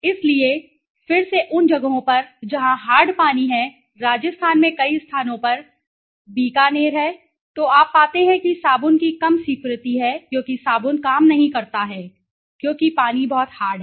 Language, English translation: Hindi, So, again in places where there is a hard water right, in Rajasthan many places Bikaner in Rajasthan so you find there is a low acceptance of soap because the soap does not work because the water is too hard right, okay